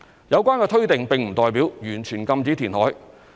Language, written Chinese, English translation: Cantonese, 有關推定並不代表完全禁止填海。, The presumption does not mean that reclamation is banned outright